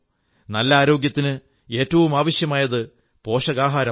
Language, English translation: Malayalam, Nutritious food is most essential for good health